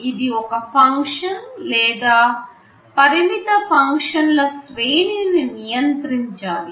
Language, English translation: Telugu, It should control a function or a range of limited set of functions